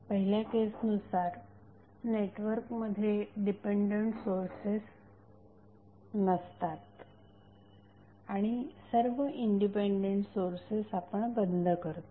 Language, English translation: Marathi, In first case the network has no dependent sources and we turn off all the independent sources turn off means